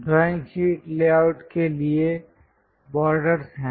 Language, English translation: Hindi, The first one for a drawing sheet layout are “Borders”